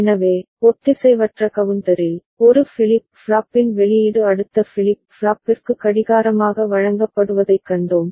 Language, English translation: Tamil, So, in asynchronous counter, we have seen that output of one flip flop is fed as clock to the next flip flop